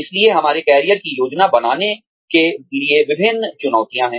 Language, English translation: Hindi, So, various challenges to planning our careers